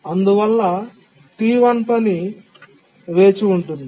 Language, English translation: Telugu, So, the task T1 waits